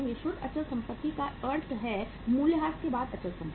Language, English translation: Hindi, Net fixed assets means fixed assets after depreciation